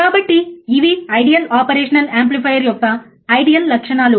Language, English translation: Telugu, So, these are the ideal characteristics of an ideal operational amplifier